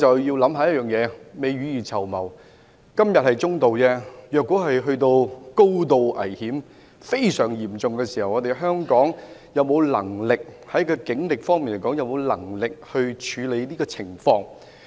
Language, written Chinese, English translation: Cantonese, 今天的風險是"中度"，但如果遇到高度危險及非常嚴重的事件，香港警方究竟有沒有能力處理？, While the present terrorist threat level was assessed to be moderate are HKPF capable of handling highly dangerous and very serious events when they take place?